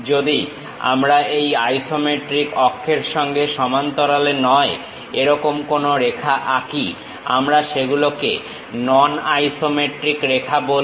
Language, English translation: Bengali, If we are drawing a line, not parallel to these isometric axis; we call non isometric lines